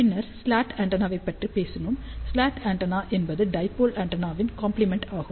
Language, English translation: Tamil, Then we talked about slot antenna, slot antenna is complementary of the dipole antenna